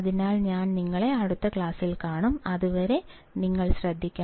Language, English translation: Malayalam, So, I will see you in the next class; till then you take care